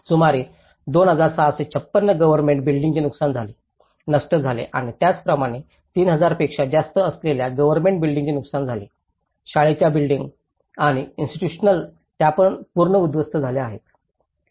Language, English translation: Marathi, Public properties like government buildings about 2,656 have been damaged, destroyed and as well as government buildings which is above more than 3,000 have been damaged, school buildings, institutional they have been again destroyed more than 19,000 have been destroyed and 11,000 have been damaged